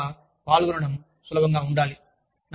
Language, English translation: Telugu, So, they should be, easy to participate in